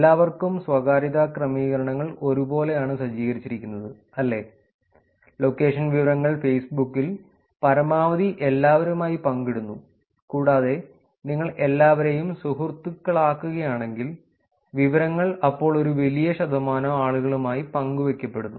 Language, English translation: Malayalam, what privacy settings has been set up is for everyone, right, location information is shared maximum to everyone on Facebook, and if you put everyone in friends that is a lot of percentage of responses which where the information is been shared